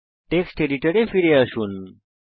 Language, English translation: Bengali, Switch back to the text editor